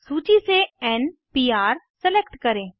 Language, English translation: Hindi, Select n Pr for from the list